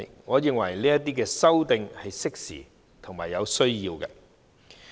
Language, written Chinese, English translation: Cantonese, 我認為，這些修訂是適時和有需要的。, I consider such amendments timely and necessary